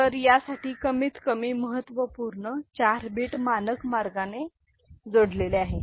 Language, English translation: Marathi, So, for this you know least significant 4 bits are connected in the standard way, ok